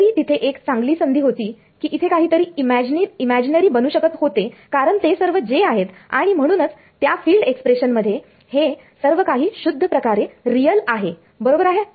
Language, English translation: Marathi, Even though there was a good chance that something could have something could become imaginary over here because they are all is js and so, all in the field expression this is purely real right